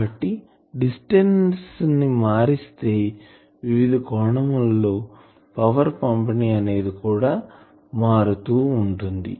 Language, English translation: Telugu, So, as you change the distance the angular distribution is getting changed